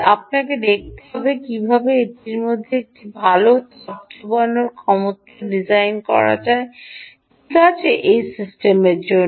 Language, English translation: Bengali, so you have to look at how to design, ah, a good heat sinking ability for this, ah, for this system